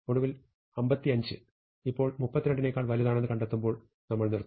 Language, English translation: Malayalam, Finally, having found that 55 is now bigger than 32, I will stop